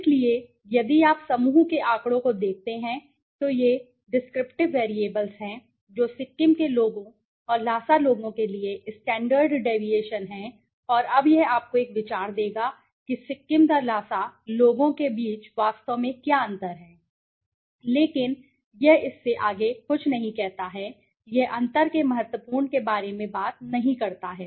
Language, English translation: Hindi, So, if you look at the group statistics now these are the descriptive variables the mean and the standard deviation right for the Sikkim people and the Lhasa people now this will give you an idea what is the actually difference between the Sikkim the Lhasa people, but it does not say anything beyond this it does not talk about the significant of the difference right